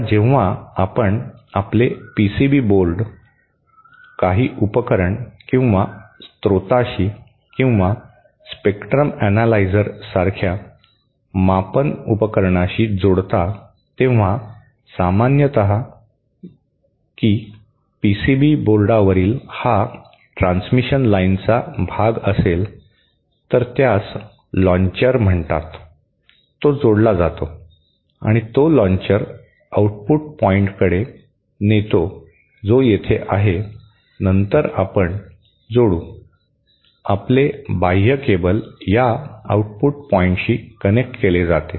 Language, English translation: Marathi, Now, when you connect your PCB board to the to some device or source or some measurement device like spectrum analyser, the way it is usually done is that suppose this is a piece of transmission line on a PCB board, then something called a launcher is connected like this